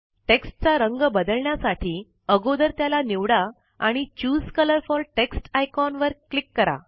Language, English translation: Marathi, To change the colour of the text, first select it and click the Choose colour for text icon